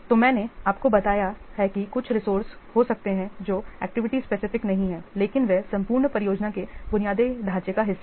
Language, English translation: Hindi, So, I have already told you that there can be some resources that are not activity specific but they are part of the whole project infrastructure